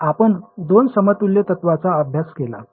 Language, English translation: Marathi, So, we studied two equivalence principles